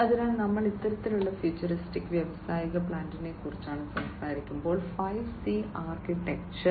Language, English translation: Malayalam, So, when we are talking about this kind of futuristic industrial plant, the 5C architecture comes very you know it is a very popular kind of architecture